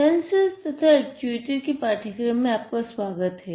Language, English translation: Hindi, Welcome to the course on Sensors and Actuators